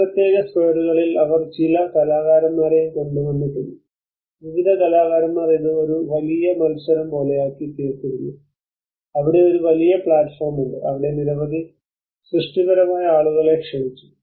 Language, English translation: Malayalam, And these particular squares the artistic they also brought some artists, various artists this has become almost like a huge competition there is a big platform where a many creative people were invited